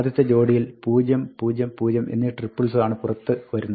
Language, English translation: Malayalam, In the first pair, triple that comes out is 0, 0, 0